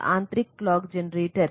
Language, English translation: Hindi, And there are internal clock generator